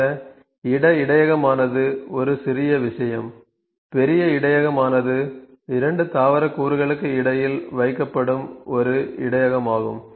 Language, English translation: Tamil, So, place buffer is a smaller thing , big buffer is a buffer is placed between 2 plant component that certain purposes